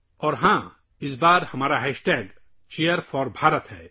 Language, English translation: Urdu, And yes, this time our hashtag is #Cheer4Bharat